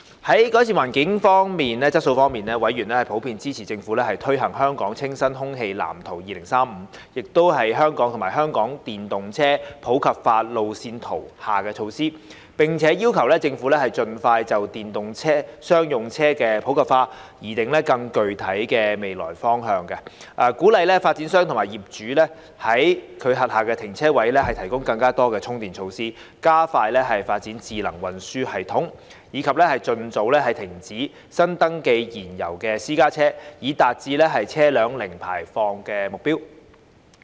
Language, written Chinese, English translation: Cantonese, 在改善空氣質素方面，委員普遍支持政府推行《香港清新空氣藍圖2035》及《香港電動車普及化路線圖》下的措施，並要求政府盡快就電動商用車的普及化擬訂更具體的未來路向、鼓勵發展商及業主在其轄下停車位提供更多充電設施、加快發展智能運輸系統，以及盡早停止新登記燃油私家車，以達致車輛零排放的目標。, On improving air quality members generally supported the Governments implementation of the measures under the Clean Air Plan for Hong Kong 2035 and the Hong Kong Roadmap on Popularisation of Electric Vehicles and requested the Government to expeditiously formulate a more concrete way forward for popularization of electric commercial vehicles encourage developers and landlords to provide more charging facilities in their parking spaces expedite the development of intelligent transport systems and discontinue new registration of fuel - propelled private cars as soon as possible so as to achieve the target of zero vehicular emissions